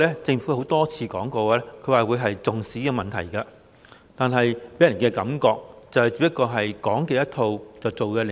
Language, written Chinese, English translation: Cantonese, 政府雖然多次表示非常重視這個問題，但總予人"講一套，做一套"的感覺。, Although the Government has repeatedly said that it places great importance on the issue it always gives people the feeling that it is not doing what it preaches